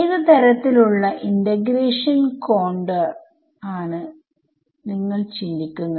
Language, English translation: Malayalam, So, what kind what kind of integration contour do you think of